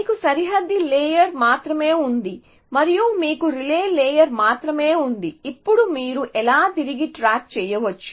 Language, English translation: Telugu, You only have the boundary layer and you only have the relay layer how can you back track